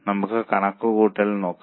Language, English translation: Malayalam, So, let us have a look at the calculation